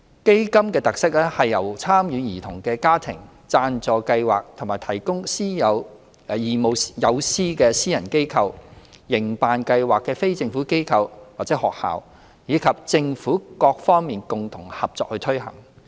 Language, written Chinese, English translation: Cantonese, 基金的特色是由參與兒童的家庭、贊助計劃或提供義務友師的私人機構、營辦計劃的非政府機構或學校，以及政府各方共同合作推行。, A special feature of CDF is the joint implementation of projects by various parties including the families of participating children private organizations offering sponsorship or volunteer mentors non - governmental organizations or schools operating CDF projects and the Government